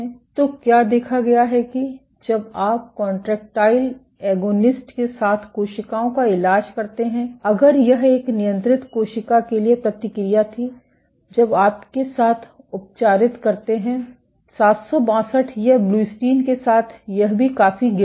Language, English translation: Hindi, So, what has been observed is when you treat cells with contractile agonist, if this was the response for a control cell when you treat with 762, it drops, with blebbistatin also it drops significantly